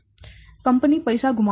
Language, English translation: Gujarati, That it will lose money